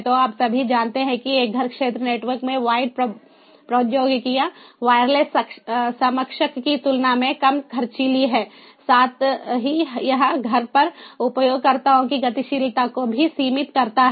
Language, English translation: Hindi, so you know all, though, wired technologies in a home area network are less expensive compared to the wireless counterpart, but at the same time it also restricts the mobility of the users at home